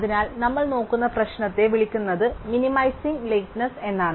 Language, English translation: Malayalam, So, the problem we are looking at is called Minimizing Lateness